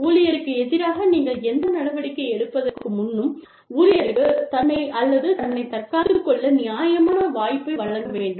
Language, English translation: Tamil, Before you take any action, against the employee, please give the employee a fair chance, to defend himself or herself